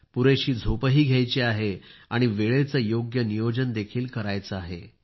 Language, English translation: Marathi, Get adequate sleep and be mindful of time management